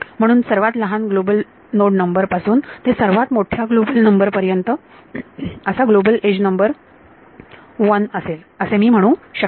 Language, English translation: Marathi, So, I can say that global edge number 1 is from smaller global node number to larger global node number